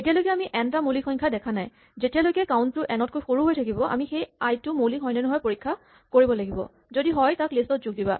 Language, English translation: Assamese, Now so long as we have not seen n primes, while count is less than n, we have to check whether the current i is a prime and if so, add it